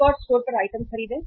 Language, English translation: Hindi, Buy items at another store right